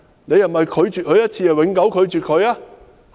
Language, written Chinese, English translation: Cantonese, 是否拒絕他一次便永久拒絕他？, Does rejection for a single time mean rejection forever?